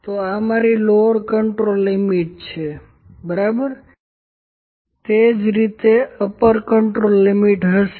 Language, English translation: Gujarati, So, this is my lower control limit, ok, similarly upper control limit would be very similar to this